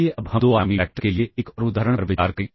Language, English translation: Hindi, Let us now consider another example for 2 dimensional vectors instance